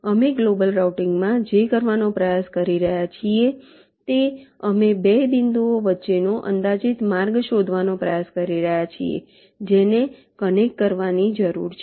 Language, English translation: Gujarati, we could, in global routing, what we are trying to do, we are trying to find out an approximate path between two points that are require to be connected